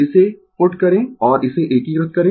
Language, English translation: Hindi, This you put and integrate it